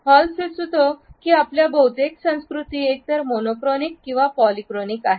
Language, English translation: Marathi, Hall suggest that most of our cultures are either monochronic or polychromic